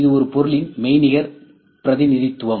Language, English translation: Tamil, This is virtual representation of a physical object ok